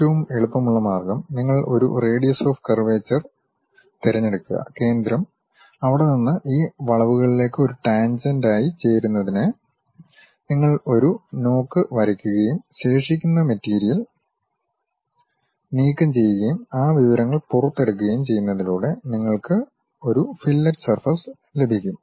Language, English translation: Malayalam, The easiest way is, you pick a radius of curvature, a center from there you draw a knock to join as a tangent to these curves and remove the remaining material and extrude that information so that, you get a fillet surface